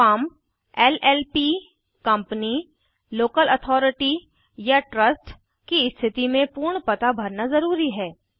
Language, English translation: Hindi, In case of a Firm, LLP, Company, Local Authority or a Trust, complete office address is mandatory